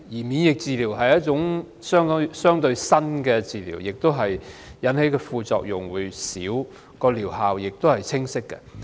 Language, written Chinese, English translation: Cantonese, 免疫療法是一種相對新的療法，引致的副作用較少，而療效也是清晰的。, Immunotherapy is a relatively new treatment option with less side effects and more specific efficacy